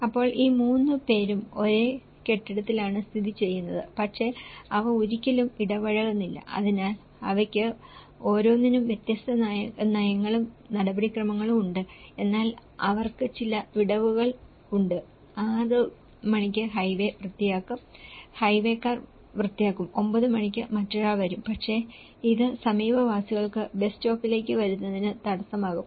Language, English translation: Malayalam, So, these 3 are situated in the same building but they never interact, so they have different policies and procedures for each of them but they have some gaps in that 6 o'clock one highway will clean, highway people, will clean and at 9 o'clock someone else will come but it will cause the barrier for the neighbourhoods to come into the bus stop